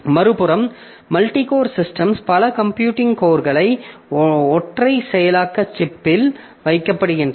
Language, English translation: Tamil, On the other hand, the multi core system, so multiple computing cores are placed in a single processing chip